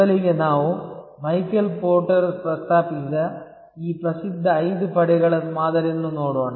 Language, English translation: Kannada, To start with we will look at this famous five forces model, originally proposed by Michael porter